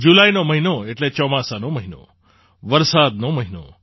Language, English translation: Gujarati, The month of July means the month of monsoon, the month of rain